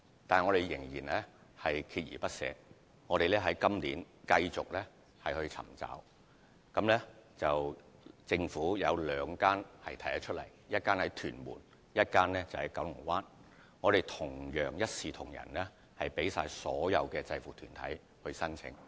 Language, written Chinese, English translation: Cantonese, 不過，我們依然鍥而不捨，在今年繼續尋找，並找到兩個空置用地，一個在屯門，另一個在九龍灣，並一視同仁地供所有制服團體申請。, Notwithstanding that we still keep up with our effort and have identified two vacant sites in Tuen Mun and Kowloon Bay this year and they are open for application by uniformed groups on equal footing